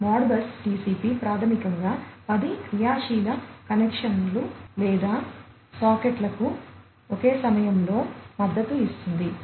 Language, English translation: Telugu, So, Modbus TCP basically supports up to 10 active connections or sockets at one time